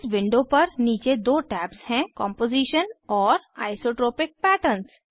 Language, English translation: Hindi, This Window has two tabs at the bottom Composition and Isotopic Pattern